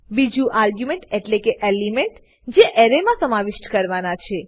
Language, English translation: Gujarati, 2nd argument is the element which is to be pushed into the Array